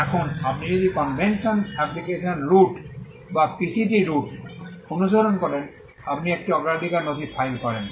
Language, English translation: Bengali, Now when you follow the convention application route or the PCT route, you file a priority document